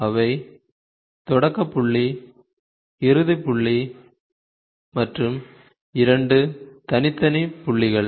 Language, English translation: Tamil, They are start point, start point, end point and two separate mid points ok